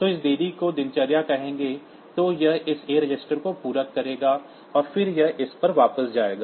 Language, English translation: Hindi, So, this will call this delay routine then it will complement this a register and then it will go back to this